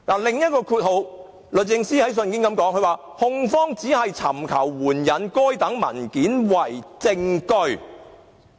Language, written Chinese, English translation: Cantonese, 第二，律政司在信件中說"控方只是尋求援引該等文件為證據"。, Second DOJ stated in the letter that the Prosecution is seeking to adduce the documents as evidence